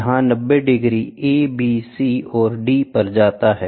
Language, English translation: Hindi, So, it goes at 90 degrees A, B, C and D